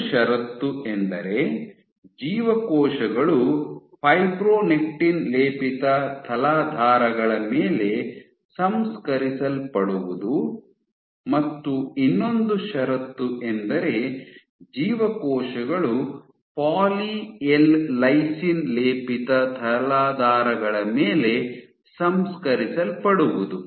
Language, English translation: Kannada, So, one condition was cells cultured on fibronectin coated substrates and the other condition was cells cultured on poly L lysine coated substrates